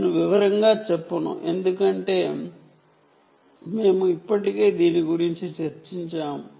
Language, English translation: Telugu, i wont go into detail because we already discussed this